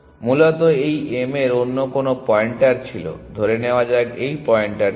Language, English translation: Bengali, Originally this m had some other pointer let us say this pointer